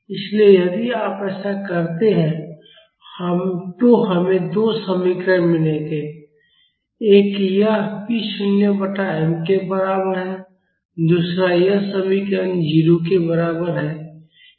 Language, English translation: Hindi, So, if you do that we will get two expressions one is this equal to p naught by m the second is this expression equal to 0